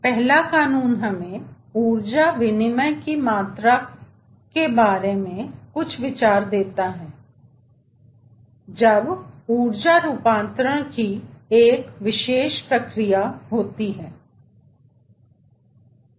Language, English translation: Hindi, first law gives us some idea regarding the quantity of energy exchange when, ah, there is a particular process of energy conversion